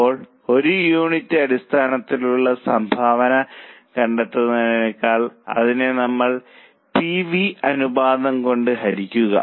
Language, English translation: Malayalam, So, instead of contribution per unit, we divide it by PV ratio